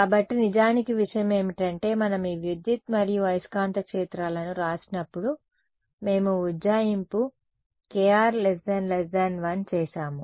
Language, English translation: Telugu, So, actually the thing is that when we wrote down these electric and magnetic fields we made the approximation kr much much less than 1